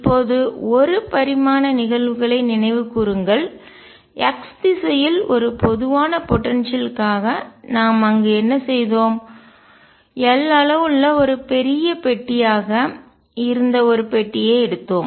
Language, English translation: Tamil, Recall the one dimensional cases, what we have done there for a general potential in x direction, we had taken a box which was a huge box of size l